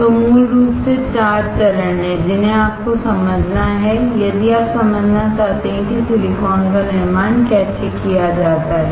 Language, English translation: Hindi, So, basically there are 4 steps that you have to understand, if you want to understand how silicon is manufactured